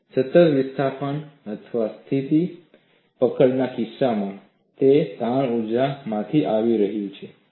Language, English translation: Gujarati, In the case of a constant displacement or fixed grips, it was coming from the strain energy